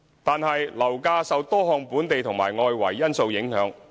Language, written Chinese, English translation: Cantonese, 然而，樓價受多項本地和外圍因素影響。, Nevertheless property prices are affected by various local and external factors